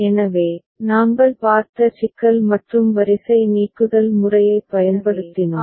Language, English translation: Tamil, So, the problem that we had seen and we used row elimination method, the same problem we are continuing with ok